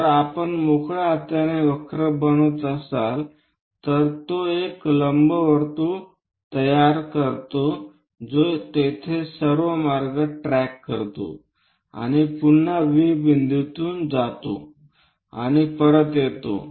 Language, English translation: Marathi, If we are making a freehand curve, it forms an ellipse which tracks all the way there and again pass through V 1 point and comes back